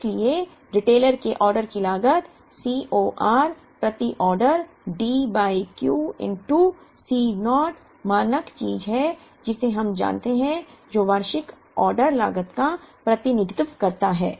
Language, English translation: Hindi, So, the retailer’s order cost is C o r per order D by Q into C naught is the standard thing that we know which represents the annual ordering cost